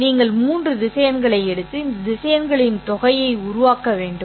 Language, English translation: Tamil, In this case, you actually have an addition of three vectors